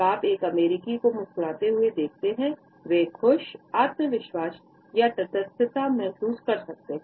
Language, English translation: Hindi, When you see an American smiling, they might be feeling happy, confident or neutral